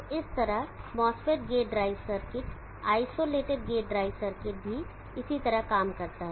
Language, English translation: Hindi, So in this way the mass fit gate drive circuit isolated gate drive circuit also works similarly